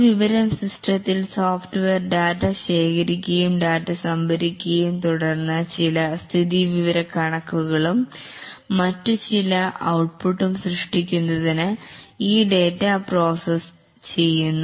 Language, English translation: Malayalam, In a information system the software the software collects data, stores data, then processes this data to generate some statistics and maybe some other data output